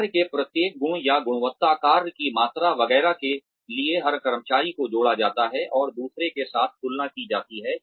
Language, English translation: Hindi, For, every trait or quality of work, quantity of work, etcetera, every employee is paired and compared with another